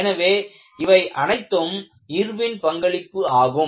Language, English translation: Tamil, So, that was the very important contribution by Irwin